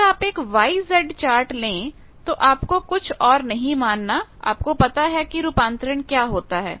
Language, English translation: Hindi, If you use Y Z charts then you need not consider anything you know that what is the conversion